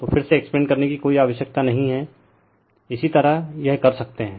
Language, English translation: Hindi, So, no need to explain again, similarly you can do it